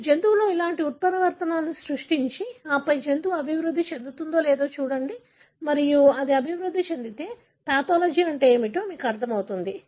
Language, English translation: Telugu, So, you create similar mutations in the animal and then look at whether the animal develops and if it develops, then you understand what is the pathology